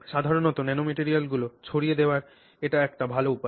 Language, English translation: Bengali, So, but generally this is a good way of dispersing nanomaterials